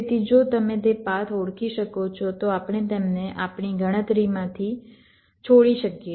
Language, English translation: Gujarati, so if you can identify those path, we can leave them out from our calculation